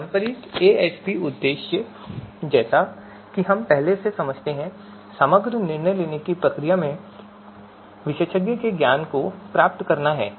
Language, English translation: Hindi, So the purpose of traditional AHP as we have as we already understand is to capture the expert’s knowledge in the overall decision making process